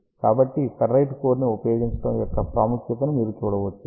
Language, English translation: Telugu, So, you can see the importance of using ferrite core